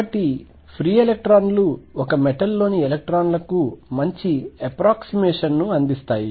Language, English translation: Telugu, So, free electrons offer a reasonably good approximation to electrons in a metal